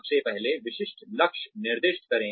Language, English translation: Hindi, First, assign specific goals